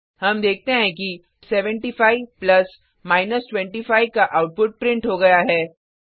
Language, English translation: Hindi, we see that the output of 75 plus 25 has been printed Now let us try subtraction